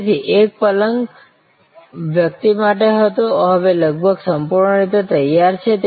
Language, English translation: Gujarati, So, one bed was for the person now almost fully prepared